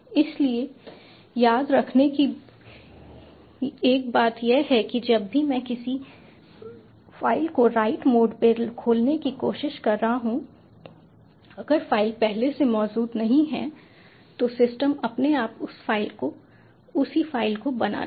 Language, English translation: Hindi, so one point to remember is whenever i am trying to open a file in write mode, if the file does not already exist, the system will automatically create that file, that same file